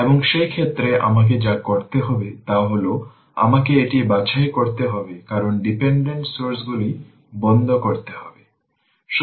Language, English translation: Bengali, And in that case, what we have to do is, we have to sort this we have to sort this, because dependent sources has to be ah turned off